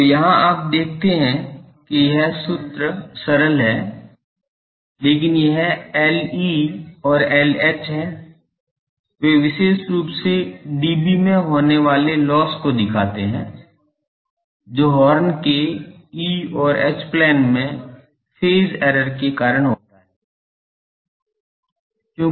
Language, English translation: Hindi, So, he here you see that this formula otherwise simple, but this L e and L h they are the, they represent specifically the losses in dB, due to phase errors in the E and H planes of the horns